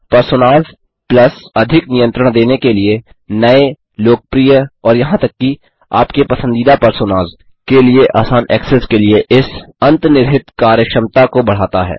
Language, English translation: Hindi, # Personas Plus extends this built in functionality # to give greater control # easier access to new, popular, and even your own favorite Personas